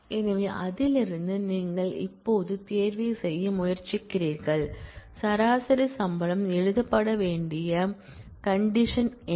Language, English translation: Tamil, So, from that you are now trying to do the selection and what is the condition that the average salary has to be written